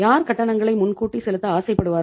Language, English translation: Tamil, Who would like to make the payment in advance, prepaid expenses